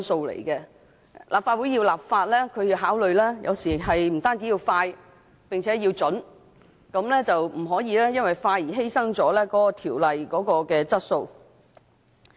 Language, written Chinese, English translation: Cantonese, 立法會制定法例，有時要考慮的不僅是快，並且要準，不可以為了快速完成審議而犧牲條例的質素。, In enacting legislation the Legislative Council sometimes needs to consider not only efficiency but also accuracy . It is not desirable to complete an examination expeditiously at the expense of the quality of the law eventually enacted